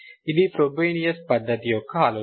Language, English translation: Telugu, That's the idea of the Frobenius method